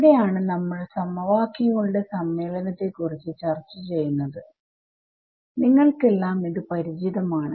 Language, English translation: Malayalam, So, here is where we discuss the assembly of equations you are all familiar with this